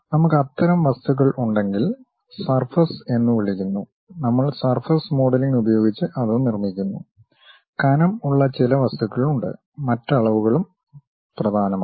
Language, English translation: Malayalam, If we have such kind of objects, we call surface we construct it using surface modelling; there are certain objects where thickness are the other dimensions are also important